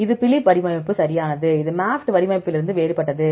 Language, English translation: Tamil, This is the Phylip format right, this different from the MAFFT format